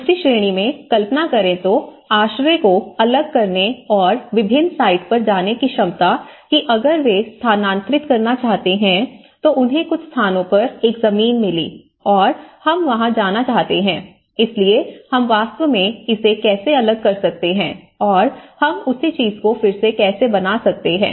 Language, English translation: Hindi, Ability to disassemble the shelter and move to a different site, imagine in the other category which we discussed if they want to relocate, they found a land in some places, want to move this house there, so how we can actually dismantle this and how we can re fix the same thing